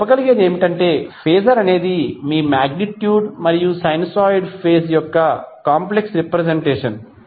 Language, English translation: Telugu, So, what you can say, phaser is a complex representation of your magnitude and phase of a sinusoid